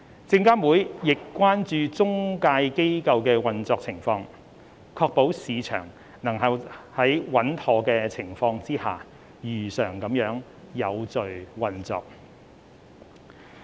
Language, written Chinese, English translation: Cantonese, 證監會亦關注中介機構的運作情況，確保市場能在穩妥的情況下，如常地有序運作。, SFC also keeps a close watch on the operation of the intermediaries to ensure that the market can operate in an orderly manner under a stable environment